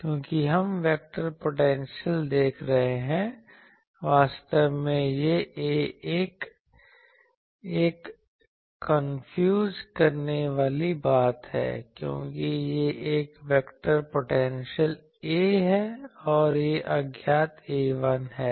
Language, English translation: Hindi, Because, we are seeing the vector potentially actually this A 1 is a confusing thing, because this is a vector potentially A and this is the unknown A 1